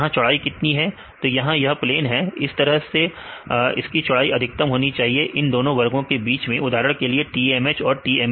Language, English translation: Hindi, So, how much the width right this 2 have this a plane such a way that the width should be the maximum right between the 2 groups of classes for example, TMH as well as a TMS